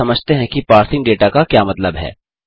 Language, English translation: Hindi, Now let us understand, what is meant by parsing data